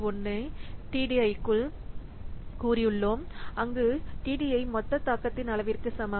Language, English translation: Tamil, 01 into TDI where TDI is equal to total degree of influence